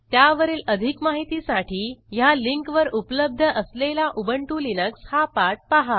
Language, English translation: Marathi, For more information on Ubuntu Software Centre, please refer to the Ubuntu Linux Tutorials on this website